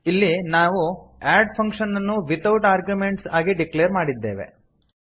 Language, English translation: Kannada, Here we have declared a function add without arguments